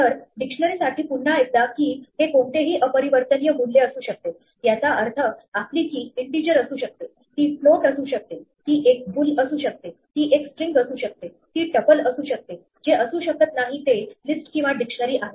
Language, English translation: Marathi, So, once again for a dictionary, the key can be any immutable value; that means, your key could be an integer, it could be a float, it could be a bool, it could be a string, it could be a tuple, what it cannot be is a list or a dictionary